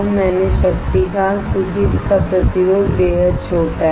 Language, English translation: Hindi, I said power, because the resistance of this is extremely small